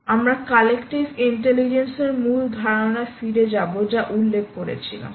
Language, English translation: Bengali, go back to the original concept of collective intelligence we mentioned